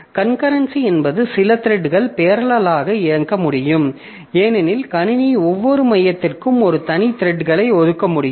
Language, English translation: Tamil, So, concurrency means that some threads can run in parallel because the system can assign a separate thread to each core